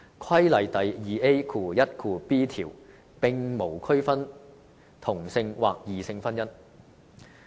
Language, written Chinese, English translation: Cantonese, 《規例》第 2AiB 條並無區分同性或異性婚姻。, Section 2AiB of the Regulation does not distinguish same - sex or different - sex marriages